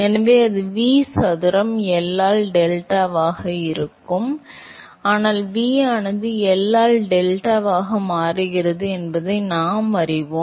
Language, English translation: Tamil, So, that will be V square by L into delta, but we know that V scales as U into delta by L right